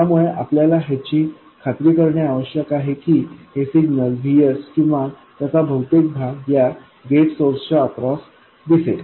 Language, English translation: Marathi, So, somehow we have to make sure that the signal VS or most of it appears across gate source